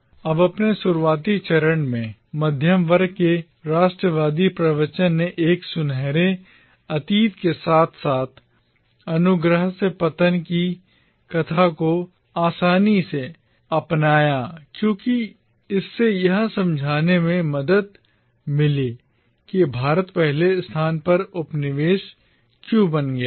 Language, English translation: Hindi, Now, in its early phase, the middle class nationalist discourse readily adopted this idea of a golden past as well as the narrative of the fall from grace because that helped explain why India had become colonised in the first place